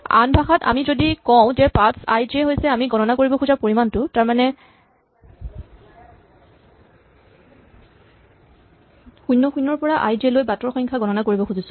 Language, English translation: Assamese, In other words if we say that paths(i, j) is the quantity we want to compute, we want to count the number of paths from (0, 0) to (i, j)